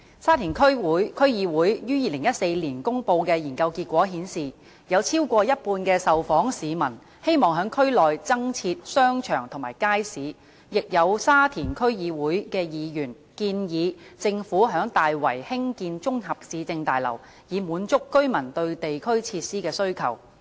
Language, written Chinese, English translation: Cantonese, 沙田區議會於2014年公布的研究結果顯示，有超過一半的受訪市民希望區內增設商場及街市，亦有沙田區議會議員建議政府於大圍興建綜合市政大樓，以滿足居民對地區設施的需求。, The findings of a study released by the Sha Tin District Council STDC in 2014 showed that more than half of the responding members of the public indicated their hope for the provision of more shopping malls and markets in the area